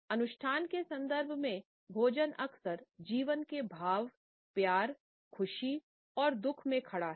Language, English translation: Hindi, Within ritual contexts, food often stands in its expressions of life, love, happiness and grief